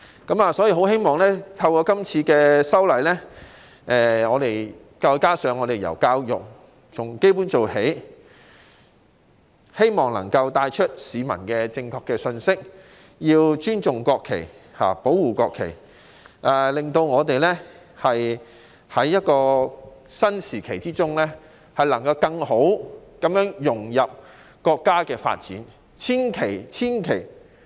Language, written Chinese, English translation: Cantonese, 但願透過今次的法例修訂工作，加上從教育入手，由基本做起，能向市民帶出正確的信息，告訴大家必須尊重、保護國旗，讓我們能在一個新時期中更好地融入國家的發展大局。, I sincerely hope that with the current legislative amendment exercise together with the efforts to start from basic education a correct message will be conveyed to the people telling them that we must respect and protect the national flag so that we may better integrate into the overall development of the country in a new era